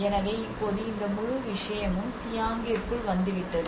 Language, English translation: Tamil, So now this whole thing has been now into the Chiang